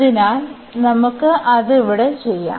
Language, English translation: Malayalam, So, let us do it here